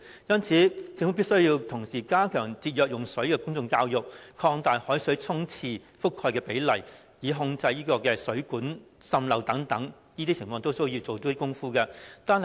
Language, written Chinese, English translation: Cantonese, 因此，政府必須加強節約用水的公眾教育，擴大海水沖廁覆蓋的比例，並控制水管滲漏等問題，這些均需要下工夫。, Therefore the Government should strengthen the public education on water conservation expand the coverage of seawater flushing network and control water leakage . More efforts should be put in these areas